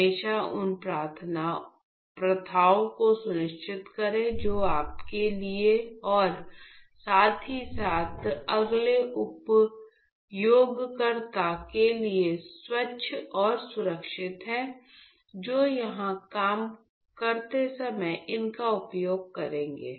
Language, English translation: Hindi, So, always ensure the practices which are clean and safe to you and as well as the next user who would be using these while he works here